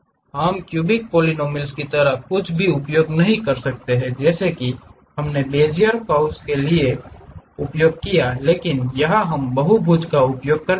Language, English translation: Hindi, And we do not use anything like cubic polynomials, like what we have used for Bezier curves, but here we use polygons